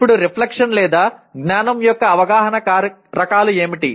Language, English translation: Telugu, Now what are the types of reflection or awareness of knowledge